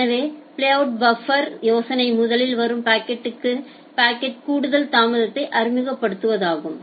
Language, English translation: Tamil, So, the idea of the playout buffer is to introduce additional delay to the packets which come first